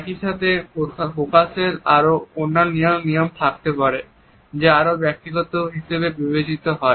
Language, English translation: Bengali, At the same time there may be other display rules which are considered to be more personal